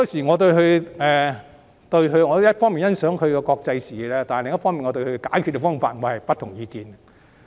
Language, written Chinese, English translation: Cantonese, 我一方面欣賞他的國際視野，但另一方面我對他的解決方法卻持不同意見。, I appreciate his international outlook on the one hand but on the other hand I disagree with his solution to the problem